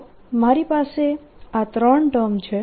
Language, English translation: Gujarati, so i have gotten these three terms